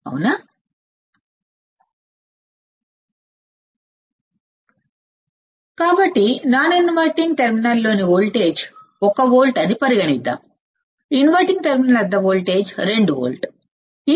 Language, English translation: Telugu, So, let us now consider that my V non inverting that is voltage in non inverting terminal is 1 volt voltage at inverting terminal is 2 volt